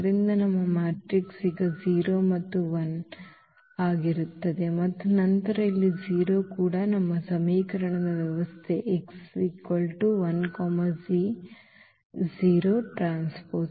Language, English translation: Kannada, So, our matrix will be now the 0 and 1 and 0 and then here also this 0 that is our system of equation x 1 x 2 and is equal to this 0 0 the right hand side vector